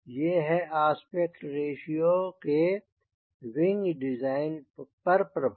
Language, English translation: Hindi, so these are the effect of aspect ratio on wing design